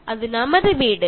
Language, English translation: Malayalam, It is home